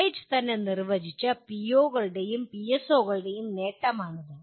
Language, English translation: Malayalam, These are the accomplishment of defined POs and PSOs by the college itself